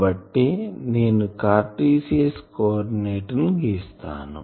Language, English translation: Telugu, So, I have drawn a Cartesian coordinate